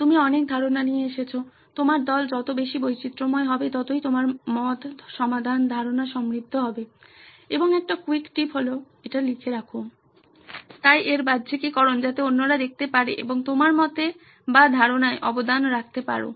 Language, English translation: Bengali, You come up with a lot of ideas, the more diverse your team is the better the richness of your ideas, the solution, concepts and quick tip is to write it all down, so its externalised so that other people can see and contribute to your idea or concept